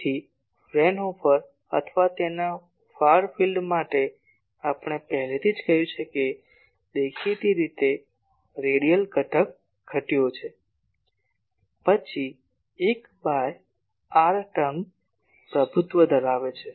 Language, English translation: Gujarati, So, Fraunhofer or far field there already we have said that; obviously, the radiating the radial component has diminished, then 1 by r term dominates